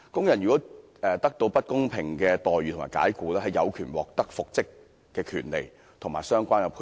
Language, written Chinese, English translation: Cantonese, 如果工人得到不公平的待遇和解僱，有獲得復職的權利及相關的賠償。, If the employee is unfairly treated and dismissed he has the right to be reinstated and receive compensation